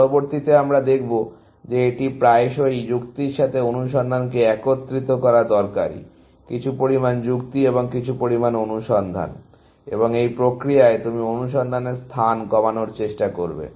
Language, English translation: Bengali, Later on, we will see that it is often useful to combine search with reasoning, essentially; some amount of reasoning and some amount of search, and in the process you will try to cut down on the search space, more and more, essentially